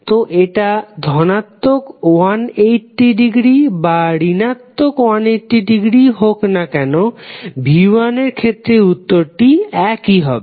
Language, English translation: Bengali, So, whether it was plus 180 degree or minus 180 degree in case of v1, we found the same answers